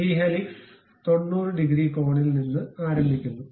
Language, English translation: Malayalam, And this helix begins from 90 degrees angle